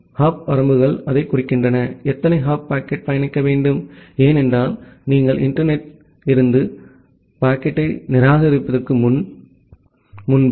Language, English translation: Tamil, And the hop limits denote that, how many hop the packet should traverse because, before you discard the packet from the internet